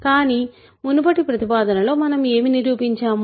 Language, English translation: Telugu, But what did we prove in the previous proposition